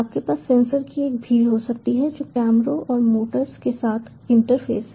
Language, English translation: Hindi, you have, you can have a multitude of sensors which are interface with the cameras and the motors